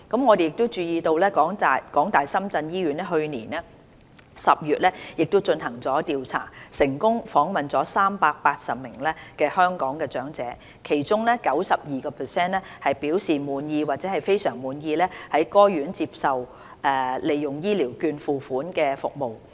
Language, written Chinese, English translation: Cantonese, 我們注意到，港大深圳醫院去年10月進行調查，成功訪問380名香港長者，其中 92% 表示滿意或非常滿意在該院接受而利用醫療券付款的服務。, We noted from a survey conducted by HKU - SZH last October which successfully interviewed some 380 Hong Kong elders 92 % indicated that they were satisfied or very satisfied with the services received at HKU - SZH paid for by the vouchers